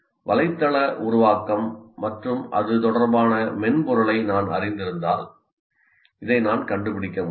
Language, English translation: Tamil, Because if I'm familiar with the subject of website creation and the software related to that, I should be able to find this